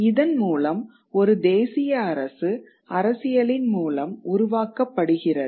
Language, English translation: Tamil, So, primarily nation state created through politics